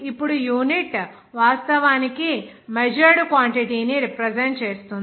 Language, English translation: Telugu, Now the unit actually indicates the measured quantity actually represents